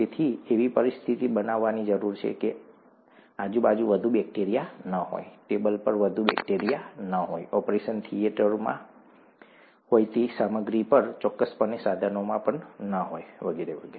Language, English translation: Gujarati, not much bacteria around, not much bacteria on the tables, on the material that is in the operation theatre, certainly not in the instruments and so on